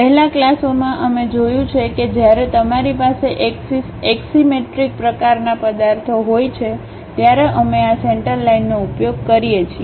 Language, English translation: Gujarati, In the earlier classes we have seen when you have axis axisymmetric kind of objects, we use this center line